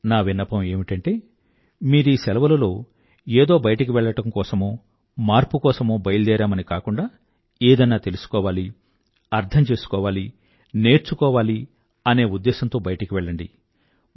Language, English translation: Telugu, I would request that during these vacations do not go out just for a change but leave with the intention to know, understand & gain something